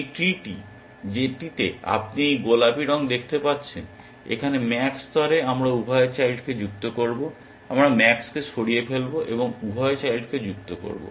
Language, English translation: Bengali, This tree that you see in this pinkish color here at max level we will add both the children, we will remove max and add both the children